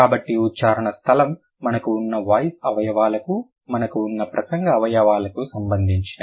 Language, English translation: Telugu, So, place of articulation would be related to the voice organs that we have, the organs of speech that we have